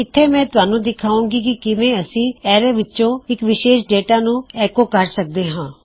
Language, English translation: Punjabi, Down here, Ill show you how to echo out specific data inside the array